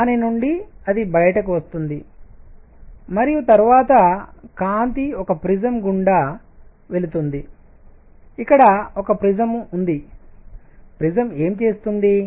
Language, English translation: Telugu, From which it comes out and then, the light is made to pass through a prism, here is a prism; what does the prism do